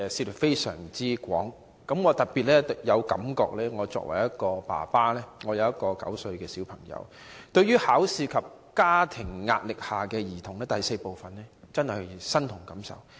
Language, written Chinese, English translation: Cantonese, 我是個有一名9歲小孩的爸爸，對於報告中關於"在考試及家課壓力下的兒童"的第 IV 部，我真的感同身受。, I am the father of a nine - year - old child . I really identify with Part IV of the Report in relation to Children amid examination and schoolwork stress